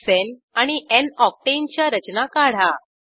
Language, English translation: Marathi, Draw structures of n hexane and n octane 2